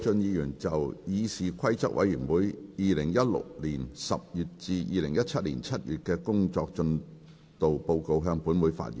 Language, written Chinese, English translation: Cantonese, 謝偉俊議員就"議事規則委員會2016年10月至2017年7月的工作進度報告"向本會發言。, Mr Paul TSE will address the Council on the Progress Report of the Committee on Rules of Procedure for the period October 2016 to July 2017